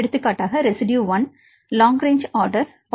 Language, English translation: Tamil, So, for example, take residue number 1 long range order equal to 0